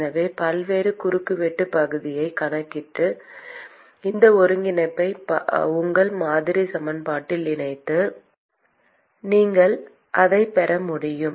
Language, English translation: Tamil, So, account for the varying cross sectional area and you incorporate this integration into your model equation, and you will be able to get that